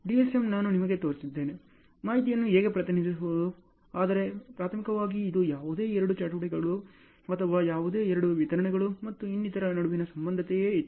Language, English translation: Kannada, DSM I have shown you as to, how to represent information; but primarily it was like only one relationship between any two activities or any two deliverables and so on